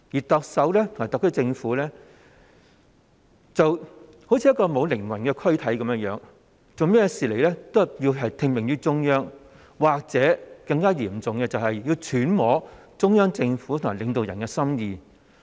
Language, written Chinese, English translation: Cantonese, 特首和特區政府就像一具沒有靈魂的軀體般，任何事情也要聽命於中央，或更加嚴重的情況，就是要揣摩中央政府和領導人的心意。, The Chief Executive and the SAR Government simply act as if they are without a soul following the orders of the Central Government for everything . What is worse they have to gauge the thoughts of the Central Government and leaders